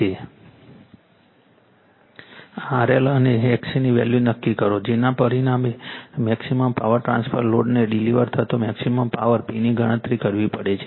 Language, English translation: Gujarati, Determine the value of the R L and X C, which result in maximum power transfer you have to calculate the maximum power P delivered to the load